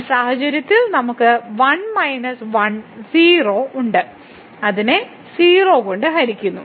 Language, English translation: Malayalam, So, in this case we have 1 minus 1 0 and divided by 0